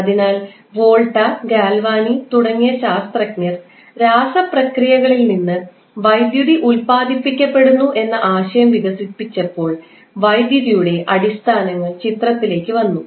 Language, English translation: Malayalam, So, basically when the the scientists like Volta and Galvani developed the concept of getting electricity generated from the chemical processes; the fundamentals of electricity came into the picture